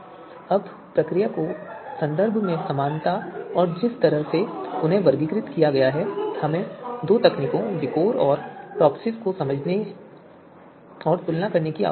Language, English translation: Hindi, Now because of you know similarity in terms of procedure and in some in terms of the way they are categorized we need to understand the you know we need to understand and compare these two techniques VIKOR and TOPSIS